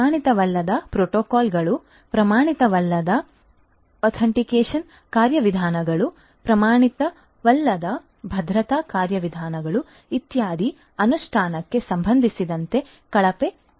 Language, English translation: Kannada, Poor designing with respect to you know implementation of non standard protocols, non standard authentication mechanisms, non standard security mechanisms etcetera